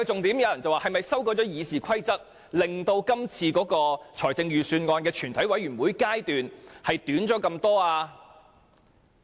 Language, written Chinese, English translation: Cantonese, 有人問，是否因為修改了《議事規則》，致使今次預算案全委會審議階段大大縮短了呢？, Someone has asked if the substantially shorter debate time in the Committee stage this year is caused by the RoP amendments . I think this is not the main reason